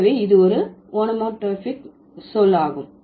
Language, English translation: Tamil, So, that is an onomatopic word